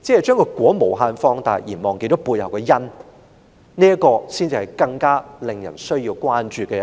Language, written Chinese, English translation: Cantonese, 把"果"無限放大而忘記了背後的"因"，這才是更需要關注的一點。, Surely it is more worthy to note that effect has been so blown up indefinitely that the cause is neglected